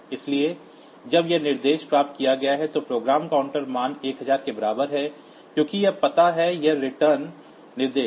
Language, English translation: Hindi, So, when this instruction has been fetched, so program counter value is equal to 1000 because that is the address of this ret instruction